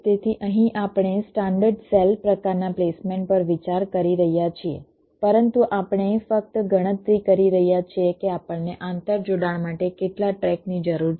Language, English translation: Gujarati, so here we are considering standard cell kind of a placement, but we are just counting how many tracks we are needing for interconnection